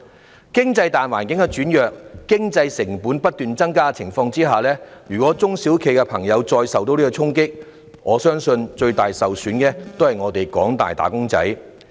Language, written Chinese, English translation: Cantonese, 在經濟大環境轉弱及經營成本不斷增加的情況下，如果中小企再受衝擊，我相信最終受損的也是廣大僱員。, In the face of a weaker general economic environment and increasing operating costs I believe if SMEs deal any further blow it would be the employees at large who suffer in the end